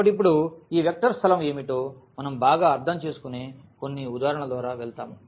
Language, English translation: Telugu, So, now we go through some of the examples where we will understand now better what is this vector space